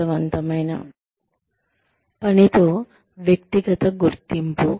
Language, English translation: Telugu, Personal identification with meaningful work